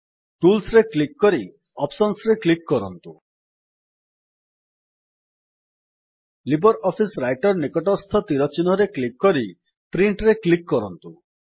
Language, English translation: Odia, Click on Tools gtclick on Options Click on the arrow beside LibreOffice Writer and finally click on Print